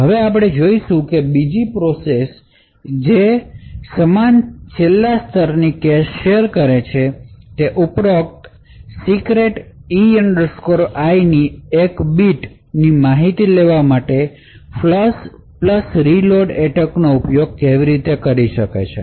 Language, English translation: Gujarati, Now we will see how in other process which shares the same last level cache could use the flush plus reload attack in order to extract one bit of information above the secret E I